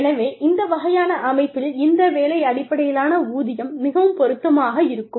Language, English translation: Tamil, So, in this kind of a set up, this job based pay is more applicable